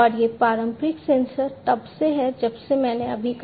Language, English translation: Hindi, And these conventional sensors have been there since long as I just said